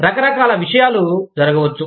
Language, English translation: Telugu, Various things can happen